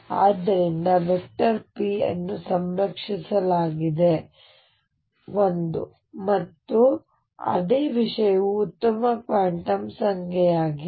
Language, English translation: Kannada, And therefore, p is conserved one and the same thing is a good quantum number